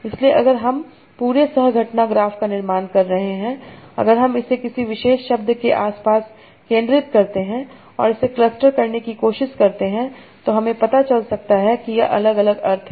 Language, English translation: Hindi, So if I am building the whole co prens graph, if I center it around a particular word and try to cluster it, I can find out its different senses